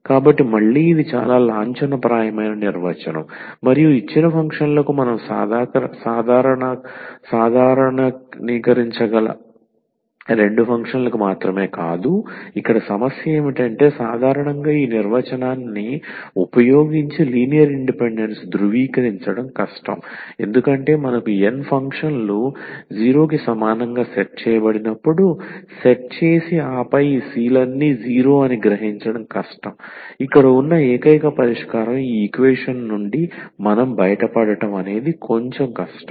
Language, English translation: Telugu, So, again this is a very formal definition and very important for any functions not only for two functions we can generalize for given n functions, but what is the problem here usually this is difficult to verify the linear independence using this definition because we have to set when there are n functions set to equal to 0 and then to realize that all these c’s are 0, that is the only solution here we are getting out of this equation it is little bit difficult to show